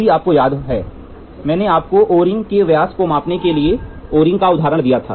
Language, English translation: Hindi, If you remember I gave you an example of an O ring to measure the diameter of the O ring